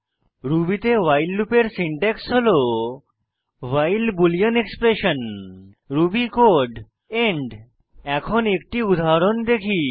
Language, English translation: Bengali, The syntax of the while loop in Ruby is as follows: while boolean expression ruby code end Let us look at an example